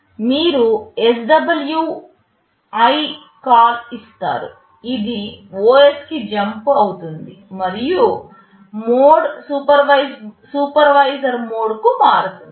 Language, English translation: Telugu, You give SWI call, it jumps to the OS and also the mode changes to supervisory mode